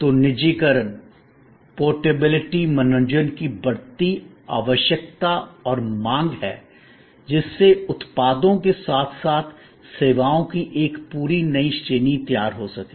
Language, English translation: Hindi, So, there is an increasing need and demand for personalization, portability, entertainment in your pocket, creating a whole new range of services as well as products